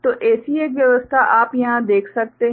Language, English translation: Hindi, So, one such you know arrangement you can see over here ok